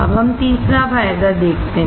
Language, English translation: Hindi, Let us see the third advantage